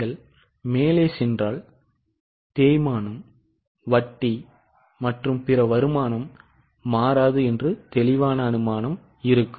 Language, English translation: Tamil, If you go up there was a clear assumption that depreciation, interest and other income will not change